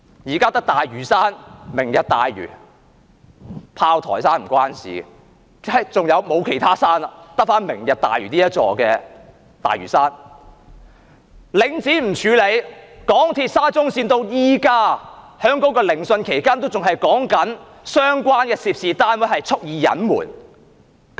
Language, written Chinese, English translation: Cantonese, 現在只有大嶼山，"明日大嶼"——炮台山與此無關——沒有其他山了，只有"明日大嶼"這座大嶼山；領展不處理；港鐵沙中綫，即使在現時聆訊期間，也仍在討論相關的涉事單位蓄意隱瞞。, There is now only Lantau under the Lantau Tomorrow Vision―this has got nothing to do with Fortress Hill―and there is no other big mountain but Lantau in the Lantau Tomorrow Vision now . She did not deal with Link REIT; as regards the Shatin to Central Link of the MTR Corporation Limited even in the hearing ongoing now there is discussion on the deliberate cover - up by the parties concerned